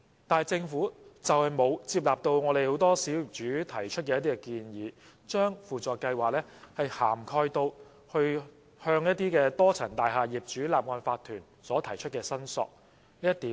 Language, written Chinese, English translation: Cantonese, 但政府卻沒有接納很多小業主提出的建議，把輔助計劃涵蓋至向多層大廈業主立案法團所提出的申索。, Nevertheless the Government has not accepted the proposals of many individual owners to expand the scope of SLAS to include claims against the incorporated owners of a multistorey building